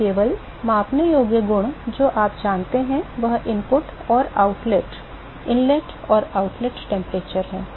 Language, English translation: Hindi, So, only measurable properties you know is the input and the outlet inlet and the outlet temperatures